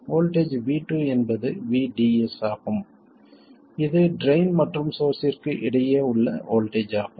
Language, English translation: Tamil, Voltage V2 is VDS, that is voltage between drain and source